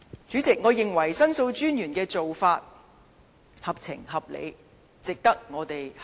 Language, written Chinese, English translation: Cantonese, 主席，我認為申訴專員的做法合情合理，值得我們參考。, President I think The Ombudsmans decision is reasonable and sensible and also worthy of our reference